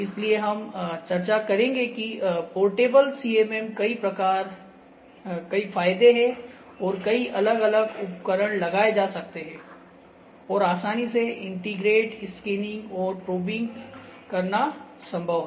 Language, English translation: Hindi, So, we will discuss this had many advantages that many different tools can be mounted on a on the portable CMMs and making it possible to easily integrate scanning and probing